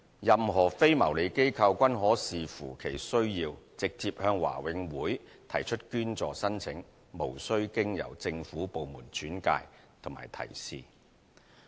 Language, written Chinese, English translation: Cantonese, 任何非牟利機構均可視乎其需要，直接向華永會提出捐助申請，無須經由政府部門轉介及提示。, Any non - profit - making organizations may apply direct to BMCPC for donation based on their needs without referral by or advices from government departments